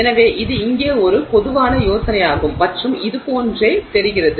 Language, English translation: Tamil, So, this is the general idea here and it looks something like this